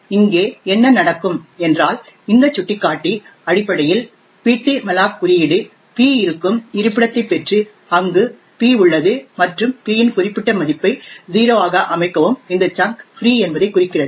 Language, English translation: Tamil, So therefore what would happen over here is that based on this pointer the ptmalloc code would obtain the location where p is present and set that particular value of p to 0 indicating that this chunk is free